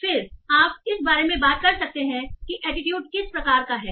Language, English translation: Hindi, Then you can talk about what is the type of attitude